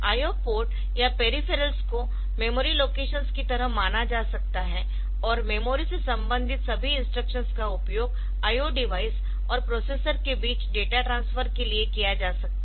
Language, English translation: Hindi, The I O port or peripherals can be treated like memory locations, and all instructions related to memory can be used for data transfer between I O device and processor